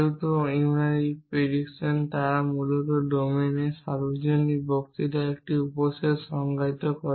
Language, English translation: Bengali, Since unary predicates they basically define a subset of the universal discourse of the domain